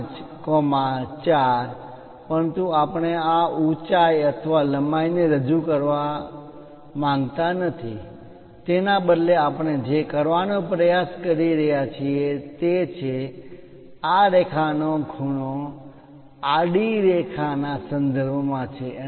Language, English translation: Gujarati, 5, 4, but we do not want to represent this height or length, instead of that what we are trying to do is this is having an incline, incline with respect to this horizontal line